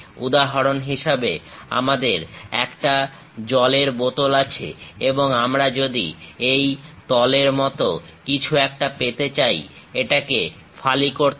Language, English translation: Bengali, For example, we have a water bottle and if we are going to have something like this plane, slice it